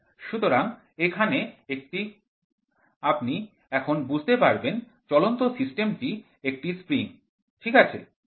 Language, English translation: Bengali, So, here you now you can understand the moving system is a spring, ok